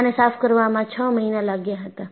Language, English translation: Gujarati, It took six months to clean up the place